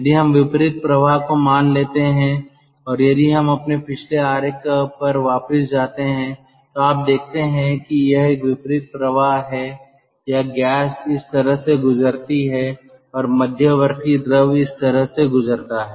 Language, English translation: Hindi, if we assume counter current flow, if we go back to our previous figure, then you see it is a counter current flow, or gas passes like this and the secondary fluid passes like this